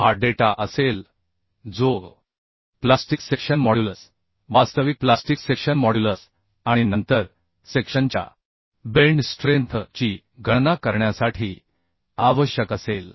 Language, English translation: Marathi, This will be the data which will be require for calculation of the plastic section, modulus, actual plastic section, and then the bending strength of the section